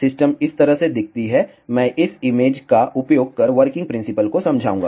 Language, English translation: Hindi, The system looks like this I will explain the working principle using this image